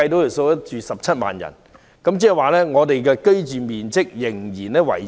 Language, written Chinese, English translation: Cantonese, 如果安排17萬人入住，市民的居住面積仍很細小。, If 170 000 people live in the area the living space of residents is still small